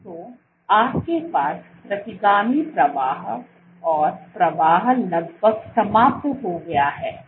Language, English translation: Hindi, So, you have retrograde flow nearly eliminated flow eliminated